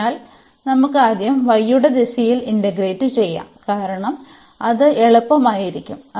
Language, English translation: Malayalam, So, let us integrate first in the direction of y because that will be easier